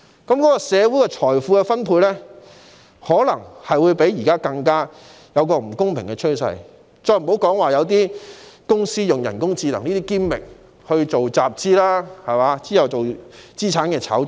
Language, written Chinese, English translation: Cantonese, 如是者，社會的財富分配便可能出現比現時更不公平的趨勢，遑論有公司會利用人工智能作為噱頭集資，再進行資產炒作等。, Should this happen wealth distribution in society may show a trend that is even more unfair than it is now to speak less of the use of AI by some companies as a gimmick for raising funds for subsequent speculation in assets